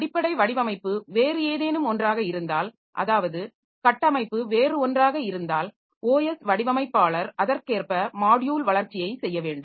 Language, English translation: Tamil, If underlying design is something else, the architecture is something else then the OS designer has to do the module development accordingly